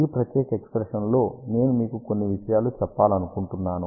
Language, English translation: Telugu, In this particular expression, I just want to tell you a few things